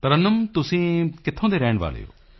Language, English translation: Punjabi, Tarannum, where are you from